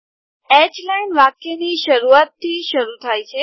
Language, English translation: Gujarati, H line begins from the beginning of the sentence